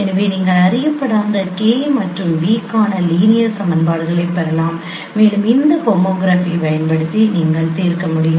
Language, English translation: Tamil, So you can get linear equations for unknowns K and V and that you can solve using this home graph